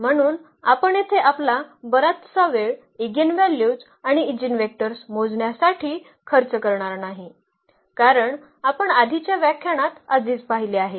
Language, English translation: Marathi, So, here we will not spend much of our time for computing eigenvalues and eigenvectors, because that we have already seen in previous lectures